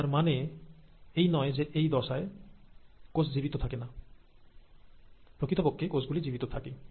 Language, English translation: Bengali, Now it doesn't mean that in this phase the cells are not living, the cells are living